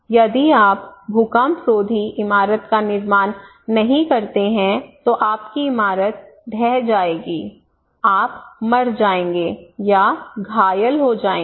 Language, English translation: Hindi, If you do not prepare built with earthquake resistant building your building will collapse, you will die or injure